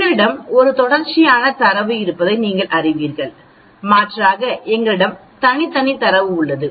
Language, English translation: Tamil, As you know we have a continuous data and alternatively we have the discrete data